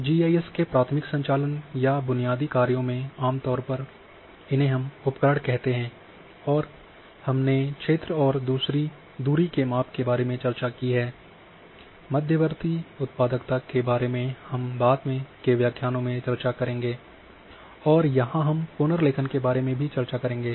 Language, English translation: Hindi, So, in primary operations or basic functions of GIS usually we call them as tools and this we have discussed about area and distance measurements buffer generation which we will discuss in later lectures and reclassification which we will discuss here now